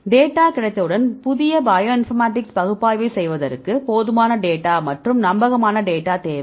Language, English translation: Tamil, Now, once we have the data, right for doing the new bioinformatics analysis right we require a sufficient number of data and reliable data right